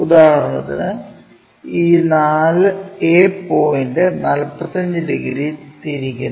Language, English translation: Malayalam, For example, this a point rotated by 45 degrees